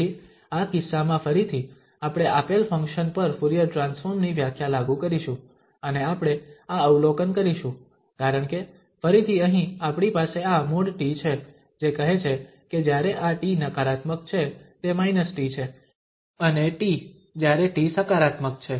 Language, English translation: Gujarati, So, in this case, again, we will apply the definition of the Fourier Transform over this given function and what we observe because again this here we have this absolute value of t which says that it is minus t when this t is negative and t when t is positive